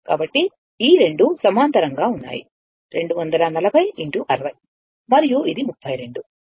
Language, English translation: Telugu, So, these 2 are in parallel 240 into 60 and this is 32